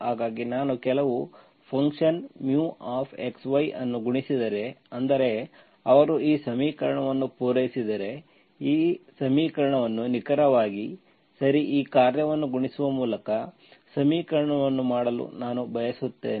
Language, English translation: Kannada, So if I multiply some function mu of xy, so that is, if they satisfy this equation, I can hope to make the equation, given equation exact, okay, by multiplying this function mu